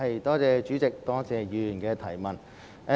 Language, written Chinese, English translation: Cantonese, 代理主席，多謝議員的補充質詢。, Deputy President I thank the Member for her supplementary question